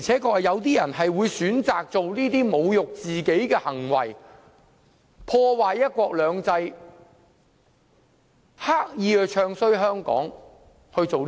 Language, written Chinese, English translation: Cantonese, 確實有些人會選擇作出這種侮辱自己的行為，破壞"一國兩制"，刻意"唱衰"香港。, There are indeed people who will choose to act in such a self - insulting way to damage one country two systems and deliberately bad - mouth Hong Kong